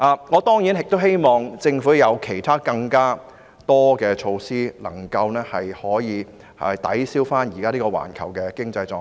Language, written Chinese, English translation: Cantonese, 我當然亦希望政府推行更多其他措施以抵銷現時環球的經濟狀況。, Certainly I also hope that the Government can implement some additional measures to offset the current global economic downturn